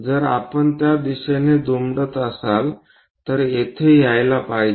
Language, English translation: Marathi, If we are folding it in that direction is supposed to come here